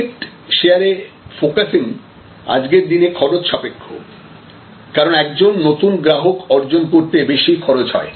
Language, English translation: Bengali, So, focusing on market share is expensive today, because acquisition cost of a new customer is much higher